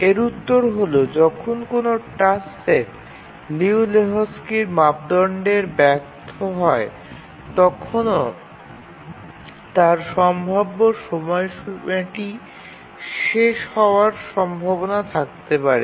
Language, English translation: Bengali, The answer to this is that even when a task set fails the Liu Lejou Lehchkis criterion, still it may be possible that it may meet its deadline